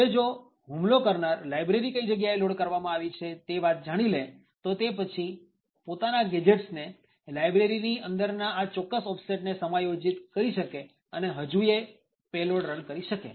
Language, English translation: Gujarati, Now, if the attacker finds out where the library is loaded then the attacker could adjust the gadgets and the offsets within this particular library and still be able to run the exploit